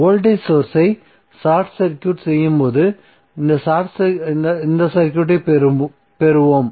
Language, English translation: Tamil, So we will get this circuit where we have short circuited the voltage source